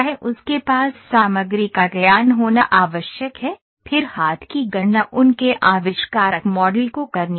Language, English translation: Hindi, He has to have the knowledge of materials then have to do hand calculations their inventor model has to be carried out